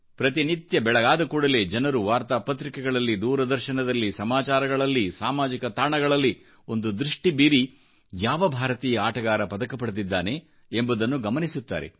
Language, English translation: Kannada, Every morning, first of all, people look for newspapers, Television, News and Social Media to check Indian playerswinning medals